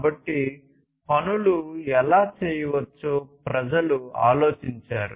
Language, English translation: Telugu, So, people thought about how things could be done